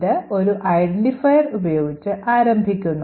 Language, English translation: Malayalam, It starts off with an identifier